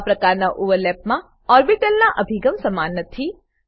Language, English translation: Gujarati, In this type of overlap, orientation of the orbitals is not same